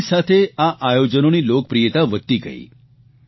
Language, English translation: Gujarati, Such events gained more popularity with the passage of time